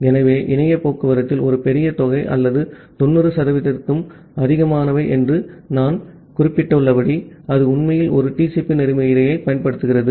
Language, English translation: Tamil, So, as I have mentioned that a huge amount or even more than 90 percent of the internet traffic, it actually use a TCP protocol